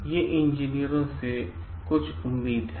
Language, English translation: Hindi, These are some of the expectations from engineers